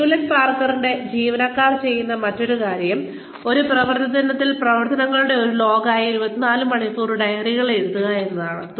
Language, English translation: Malayalam, Another thing, that employees of Hewlett Packard do is, write up 24 hour diaries, which is a log of activities, during one workday